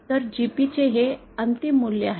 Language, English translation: Marathi, So, this is the final value of the GP